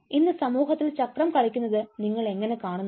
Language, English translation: Malayalam, how do you see the cycle playing out in society today